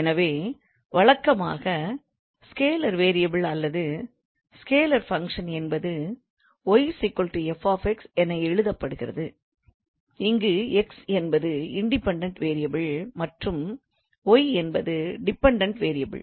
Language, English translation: Tamil, So usually the function of scalar variable or scalar functions are written as y is equals to f x where x is the independent variable and y is the dependent variable